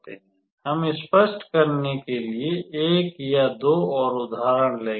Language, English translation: Hindi, We will work out to one or two more examples just to make an idea clear